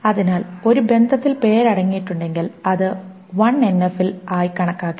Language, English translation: Malayalam, So if a relation contains name, it may not be considered to be in 1NF